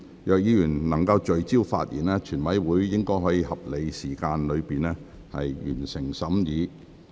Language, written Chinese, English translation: Cantonese, 若委員能聚焦發言，全體委員會應可在合理時間內完成審議。, If Members can stay focused in their speeches the committee of the whole Council should be able to complete its consideration within a reasonable time frame